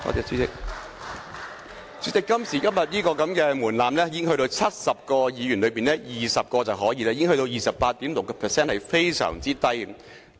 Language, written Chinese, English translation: Cantonese, 主席，今時今日這門檻只須在70位議員中有20位議員便可，只是 28.6%， 已經是非常低的了。, President now this threshold requires only 20 of the 70 Members to show their support accounting for merely 28.6 % which is very low